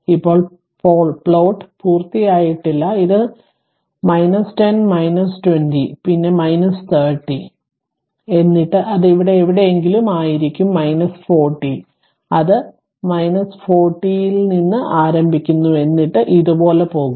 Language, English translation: Malayalam, Now plot is not completed this is your minus 10, minus 20, then minus 30 then it will be somewhere minus 40 right and it will start from minus 40 somewhere and then it will it it will go like this right